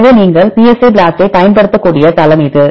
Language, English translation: Tamil, So, this is the site you can use the psi BLAST